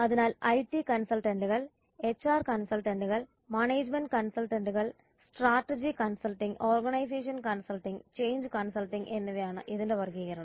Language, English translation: Malayalam, So classification there are IT consultants HR consultants and management consultants like strategy consulting, organization consulting and change consulting